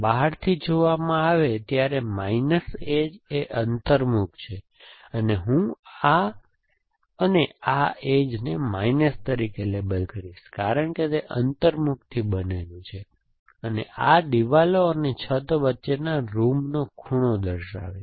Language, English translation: Gujarati, As when seen from outside, minus edge is a concave and I would label this and this edge, for example as minus because it made up of a concave, so corner of a room between the walls and roof